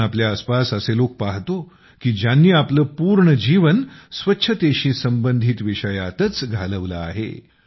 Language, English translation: Marathi, We also see people around us who have devoted their entire lives to issues related to cleanliness